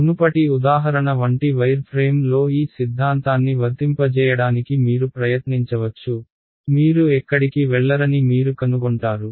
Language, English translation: Telugu, You can try using applying this theorem on a wire frame like the previous example, you will find that you do not go anywhere